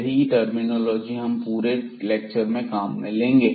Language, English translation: Hindi, So, that terminology we will use in today’s lecture